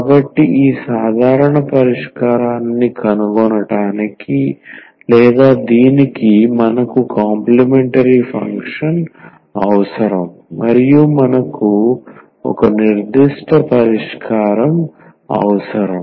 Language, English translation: Telugu, So, to find this general solution or this we need the complementary function and we need a particular solution